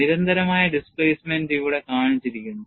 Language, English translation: Malayalam, Here it is shown for constant displacement